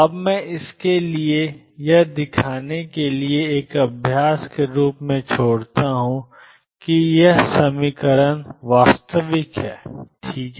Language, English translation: Hindi, Now, I leave this as an exercise for you to show that expectation value xp plus px is real all right